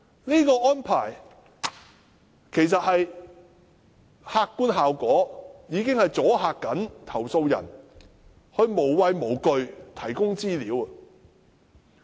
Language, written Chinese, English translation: Cantonese, 這個安排的客觀效果正是阻嚇投訴人提供資料。, The objective effect of this arrangement is to deter the complainants from providing information